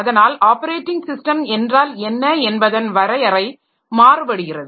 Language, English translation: Tamil, So, that way the definition of what is an operating system so that is going to vary